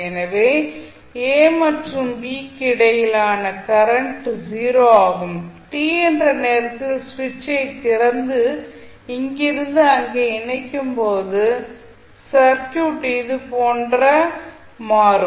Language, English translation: Tamil, So, your current between a and b is 0 and when you at time t is equal to you open the switch and connect from here to here the circuit will become like this